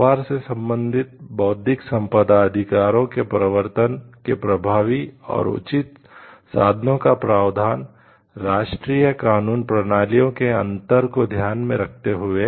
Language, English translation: Hindi, The provision of effective and appropriate means of enforcement of trade related Intellectual Property Rights, taking into account differences in national legal system